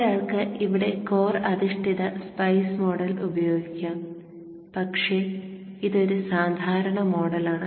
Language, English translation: Malayalam, One could also use the core based model of SPICE here, but this is a generic model